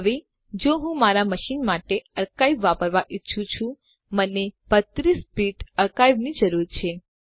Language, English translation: Gujarati, Now if I want to use the archive, for my machine, I need 32 Bit archive